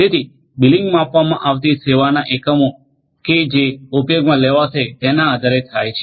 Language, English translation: Gujarati, So, billing is going to happen depending on the units of measured service that are going to be used